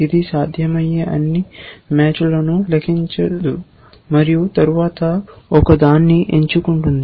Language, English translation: Telugu, It does not compute all possible matches and then selects one